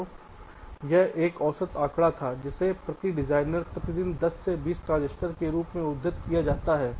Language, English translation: Hindi, so this was a average figure which is coated: ten to twenty transistors per day per designer